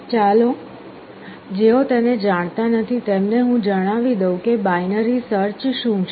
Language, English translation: Gujarati, Let me tell you what binary search is for the sake of those who do not know it